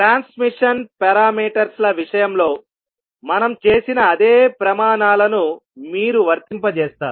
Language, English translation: Telugu, You will apply the same criteria which we did in the case of transmission parameters